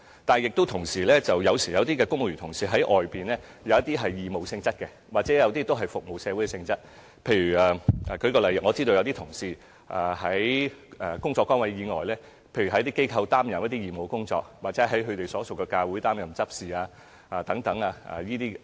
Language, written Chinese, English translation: Cantonese, 但有時候，有些公務員同事在外間的工作是義務或服務社會性質，例如有些同事在工作崗位以外，在某些機構擔任義務工作，或在所屬教會擔任執事等工作。, However in some cases some civil servants take part in voluntary or community service outside such as participating in voluntary work in certain organizations beyond their official duties or taking up roles as executives in their churches